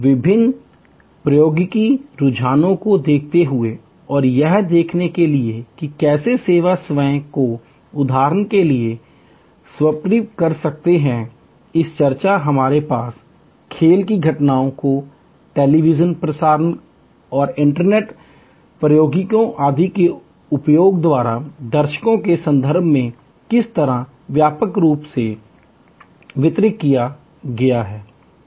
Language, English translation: Hindi, Looking at various technology trends and to see how the service itself can be transform for example, the discussion that we had how sports events have been hugely expended in terms of audiences by use of television transmission and internet technologies etc